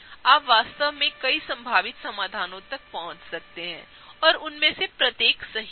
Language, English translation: Hindi, As long as you have done that you can really arrive at a number of possible solutions and each one of them would be right